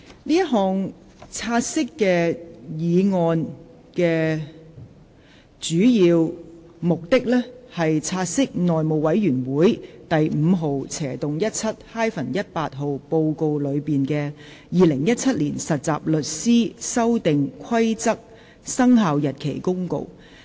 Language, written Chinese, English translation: Cantonese, 這項"察悉議案"的主要目的是，察悉內務委員會第 5/17-18 號報告內的《〈2017年實習律師規則〉公告》。, The main purpose of this take - note motion is to take note of the Trainee Solicitors Amendment Rules 2017 Commencement Notice which is included in Report No . 517 - 18 of the House Committee